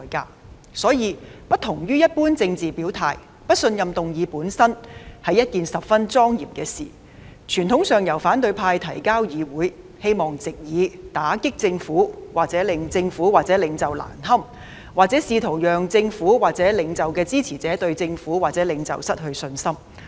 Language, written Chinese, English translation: Cantonese, 因此，有別於一般政治表態，不信任議案本身是一件十分莊嚴的事，傳統上由反對派向議會提交，希望藉以打擊政府或令政府或領袖難堪，又或試圖令政府或領袖的支持者對政府或領袖失去信心。, For this reason unlike an ordinary political gesture a motion of no confidence is essentially a solemn matter which is traditionally tabled by the opposition camp before the parliament in a bid to undermine a government or embarrass a government or a leader or in an attempt to rock the confidence of supporters of a government or a leader in the government or the leader